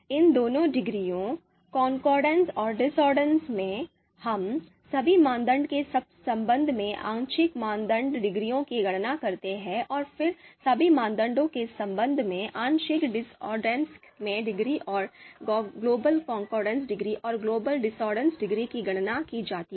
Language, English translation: Hindi, You know in both these degree concordance and discordance, we compute the partial concordance degrees for all the with respect to all the criteria and then partial discordance degrees with respect to all the criteria and the global concordance degree and global discordance degrees are computed